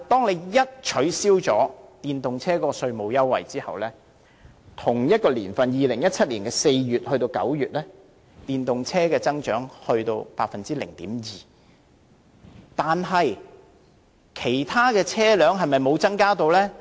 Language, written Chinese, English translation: Cantonese, 然而，一旦取消電動車稅務優惠 ，2017 年同期即4月至9月的電動車增長幅度卻下跌至只有 0.2%， 但其他車輛是否完全沒有增加呢？, However upon the abolition of the tax concession measure for EVs the growth rate of electric cars in the corresponding period in 2017 has dropped to 0.2 % only but does it mean that the quantities of other vehicles have shown utterly no increase?